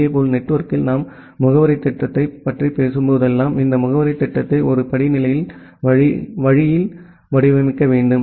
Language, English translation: Tamil, Similarly, in the network whenever we talk about the addressing scheme, we have to design this addressing scheme in a hierarchical way